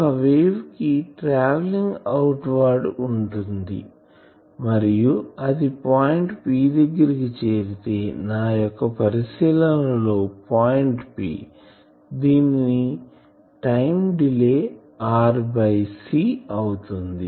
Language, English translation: Telugu, A wave which is travelling outward and reaching the point P, in my drawing that the observation point P at a delay time delay of r by c